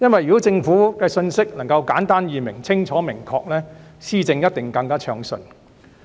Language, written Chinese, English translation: Cantonese, 如果政府的信息能夠簡單易明、清楚明確，施政一定會更暢順。, If messages from the Government are simple and clear policy implementation will definitely be smoother